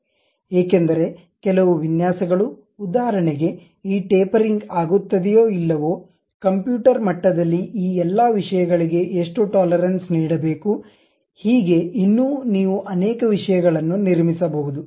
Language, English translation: Kannada, Because some of the designs like for example, whether this tapering happens or not, how much tolerance has to be given all these things at computer level you can construct many things